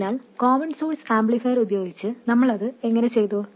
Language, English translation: Malayalam, So this is what we did with the common source amplifier and that is what we do now